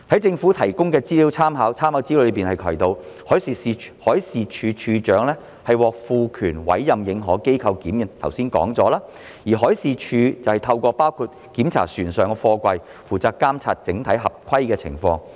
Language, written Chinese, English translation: Cantonese, 政府提供的參考資料提到，海事處處長獲賦權委任認可機構檢驗貨櫃——這是剛才已經提及的——而海事處透過包括檢查船上貨櫃，負責監察整體合規的情況。, The reference material provided by the Government mentions that the Director of Marine DM is empowered to appoint recognized organizations to examine containers―this has been mentioned just now―while MD monitors compliance in general including by conducting inspections of containers on board vessels